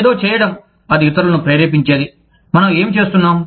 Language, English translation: Telugu, Doing something, that motivates others to do, what we are doing